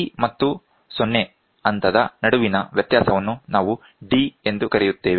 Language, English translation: Kannada, The difference between c and the 0 level, we call it as d, small d